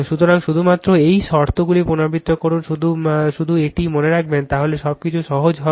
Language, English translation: Bengali, So, only these condition repeat just keep it in mind then everything will find simple right